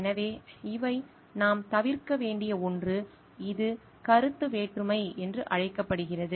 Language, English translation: Tamil, So, these are something where we need to avoid which is called the conflict of interest